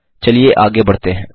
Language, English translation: Hindi, Let us move further